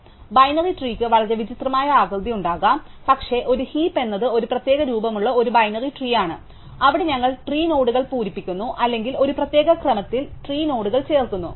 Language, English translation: Malayalam, So, binary trees can have very strange shapes, but a heap is a binary tree which has a very specific shape, where we fill up the tree nodes or we add the tree nodes in a specific order